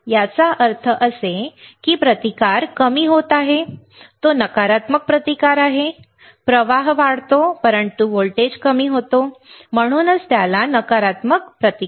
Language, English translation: Marathi, That means, as if the resistance is decreasing it is a negative resistance, the current increases, but the voltage decreases which is why it is called a negative resistance got it